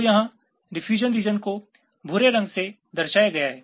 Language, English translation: Hindi, so the color convention for the diffusion region here is brown